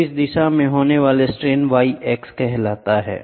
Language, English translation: Hindi, And the strain which happens in this direction is called as y x